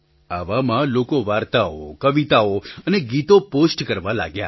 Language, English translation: Gujarati, So, people started posting stories, poems and songs